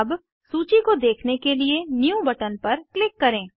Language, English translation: Hindi, Now, click on New button to view the list